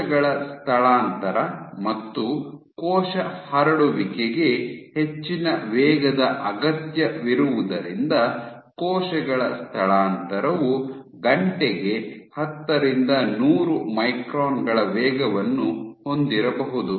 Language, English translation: Kannada, While cell migration and cell spreading requires the order of so cells migration might have a cell speed of ten to hundred microns per hour